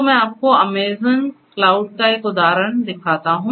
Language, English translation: Hindi, So, let me show you an example of the Amazon cloud